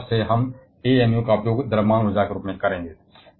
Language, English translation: Hindi, So, from now onwards we shall be using amu as the mass for energy